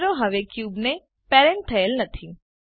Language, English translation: Gujarati, The camera is no longer parented to the cube